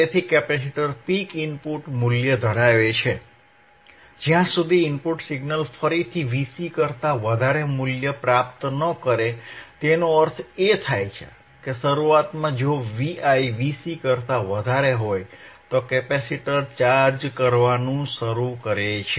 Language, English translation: Gujarati, And hence the mythe capacitor holds a peak input value until the input signal again attains a value greater than V cVc, right; that means, initially if V iVi is greater than V cVc, capacitor will start charging